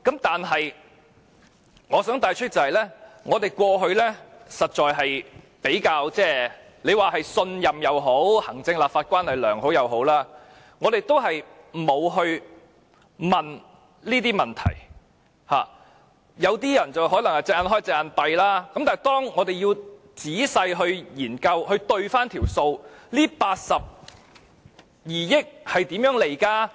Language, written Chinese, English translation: Cantonese, 但是，我想帶出的是，過去我們比較信任政府，行政立法關係較良好，因此沒有仔細過問，有些人可能"隻眼開，隻眼閉"，但是，當我們仔細研究及核對數目，這82億元是如何計算出來呢？, The point I wish to strike home is that in the past we had relatively greater trust in the Government and the relationship between the executive and the legislature was better . Therefore we did not pose detailed questions and some people might turn a blind eye to it . Now that we carefully study and tally the figures we may wonder how the Government came up with the sum 8.2 billion?